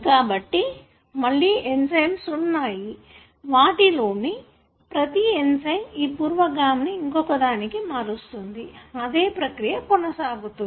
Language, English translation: Telugu, So there are again, there are enzymes and each enzyme converts this precursor into the other and so on